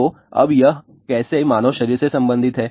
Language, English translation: Hindi, So, now, how that is related with the human body